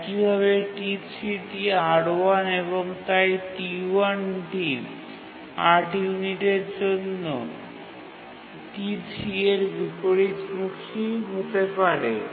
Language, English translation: Bengali, T3 also uses R1 and therefore T1 might have to undergo inversion on account of T3 for 8 units